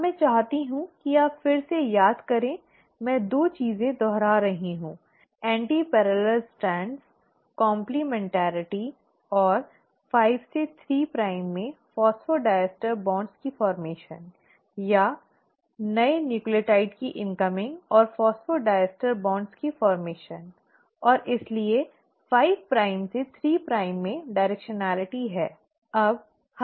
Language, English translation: Hindi, Now, I will, want you to remember again I am reiterating 2 things, antiparallel strands, complementarity and formation of phosphodiester bonds from 5 prime to 3 prime, or the incoming of the newer nucleotide and formation of a phosphodiester bonds and hence are directionality in 5 prime to 3 prime